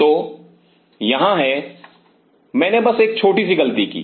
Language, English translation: Hindi, So, there are here I just made a small mistake